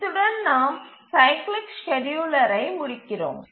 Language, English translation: Tamil, So now we conclude on this cyclic scheduler